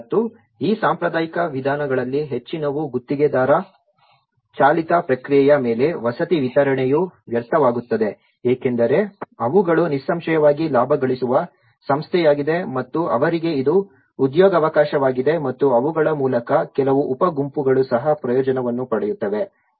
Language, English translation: Kannada, And that is how most of these traditional approaches the housing delivery is wasted upon the contractor driven process because they are obviously a profit making body and for them also it is an employment opportunity and through them, there is also some subgroups which will also benefit from them